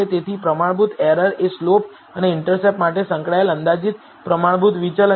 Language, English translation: Gujarati, So, standard error is the estimated standard deviation associated for the slope and intercept